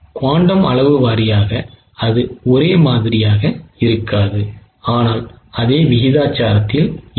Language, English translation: Tamil, Quantum amount wise it won't be same but proportionately it is same